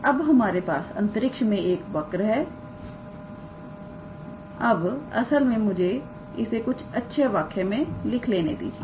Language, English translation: Hindi, Now, that we have a curve in space, we can actually be able to write, So, let me put it in a nice sentence